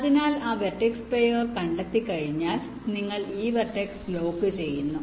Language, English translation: Malayalam, ok, so once you find that pair of vertices, you lock this vertice